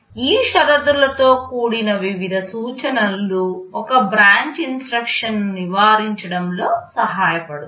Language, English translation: Telugu, This conditional variety of instructions helps in avoiding one branch instruction